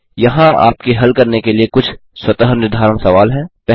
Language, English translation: Hindi, Here are some self assessment questions for you to solve 1